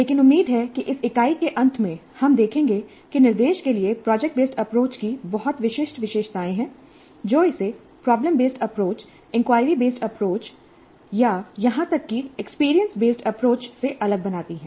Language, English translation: Hindi, But hopefully at the end of this unit, you will see that there are very distinctive features of project based approach to instruction which makes it different from problem based approach or inquiry based approach or even experience based approach